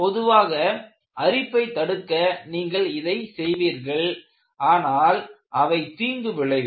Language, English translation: Tamil, Normally, you do these to prevent corrosion, they have a deleterious effect